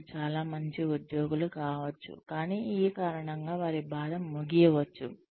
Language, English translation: Telugu, They may be very good employees, but they may end up suffering, because of this